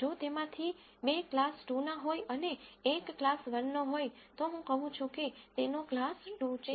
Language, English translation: Gujarati, If two of them belong to class 2 and one belongs to class 1 I say its class 2 that is it, that is all the algorithm is